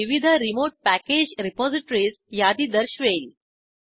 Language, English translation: Marathi, It will show a list of various remote package repositories